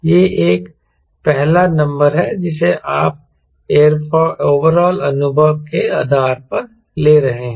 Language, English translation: Hindi, this is one first number you are you are taking based on the overall experience